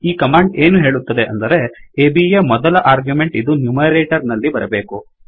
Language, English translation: Kannada, What this command says is that the first argument of AB should come in the numerator